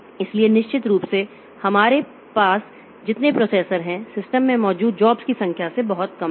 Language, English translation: Hindi, So, definitely number of processors that we have is much less than the number of jobs that we have in the system